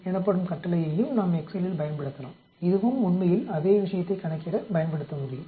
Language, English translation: Tamil, We can also use a command called gamma l n in Excel that also can be used to calculate this same thing actually